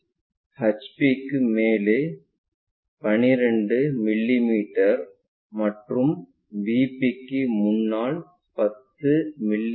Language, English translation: Tamil, And A is 12 mm above HP and 10 mm in front of VP